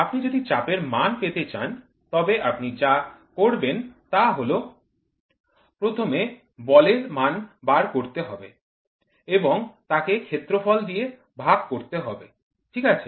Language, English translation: Bengali, If you want to find out for pressure, what you do I took force and then I divide it by area, right